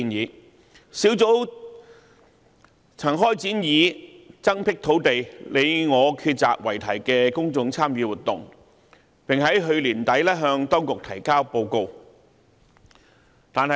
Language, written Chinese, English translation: Cantonese, 專責小組曾開展以"增闢土地，你我抉擇"為題的公眾參與活動，並於去年年底向當局提交報告。, The Task Force launched a public engagement exercise entitled Land for Hong Kong Our Home Our Say and submitted a report to the authorities at the end of last year